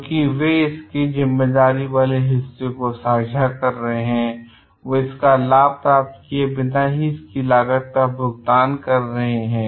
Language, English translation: Hindi, Because they are sharing the pain part of it, they are paying a cost without even getting a benefits of it